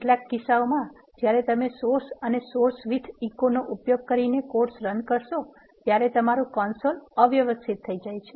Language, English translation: Gujarati, In some cases when you run the codes using source and source with echo your console will become messy